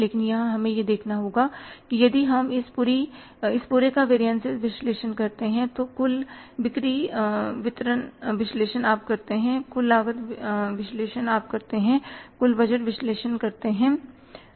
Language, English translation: Hindi, But here we have to see that if you analyze this whole variances, total sales analysis you do, total cost analysis you do, total budget analysis you do and the total cost of making this analysis is somewhere 2,000 rupees